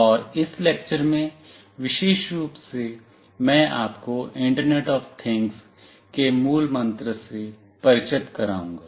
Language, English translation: Hindi, And in this lecture particularly, I will introduce you to the buzz word internet of things